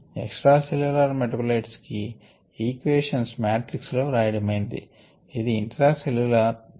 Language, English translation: Telugu, the equations corresponding to extracellular metabolites have been written in this matrix and this is the intracellular one